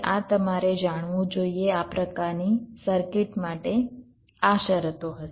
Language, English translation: Gujarati, ok, this you have to know for this kind of circuit